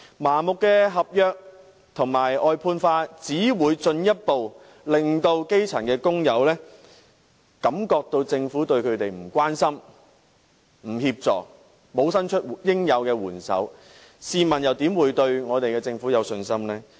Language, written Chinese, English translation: Cantonese, 麻木地把服務合約化和外判化，只會進一步令基層工友覺得政府對他們漠不關心，沒有提供協助，沒有伸出應有的援手，試問他們又怎會對我們的政府有信心呢？, Indiscriminate contractorization and outsourcing of services will only further make grass - roots workers think that the Government does not care about them at all . It would not offer any assistance . It would not lend them a helping hand when it should have done so